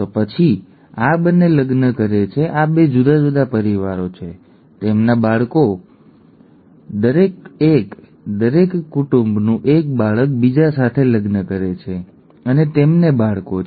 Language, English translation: Gujarati, Then these 2 marry, these are 2 different families, their children, the 2 among their children, each one, a child from each family marries the other and they have children